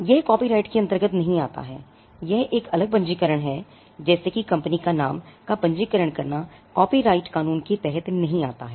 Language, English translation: Hindi, That does not come under copyright it is a separate registration like registering a company’s name, does not come under the copyright law